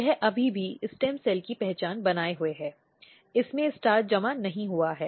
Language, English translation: Hindi, This is still maintaining the stem cell identity, it has not accumulated starch